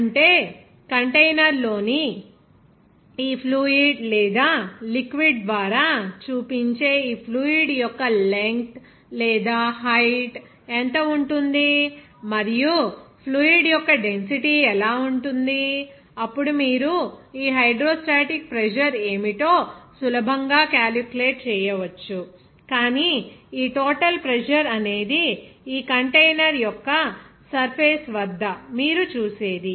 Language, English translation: Telugu, That means, what will be the length of this or height of this fluid that shows by this fluid or liquid in the container and also what would be the density of the fluid if you know that, then you can easily calculate what should be the hydrostatic pressure, but this total pressure will be what you will see at the surface of this container